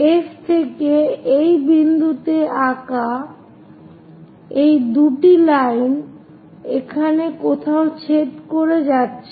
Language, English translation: Bengali, From F to that point draw these two lines are going to intersect somewhere here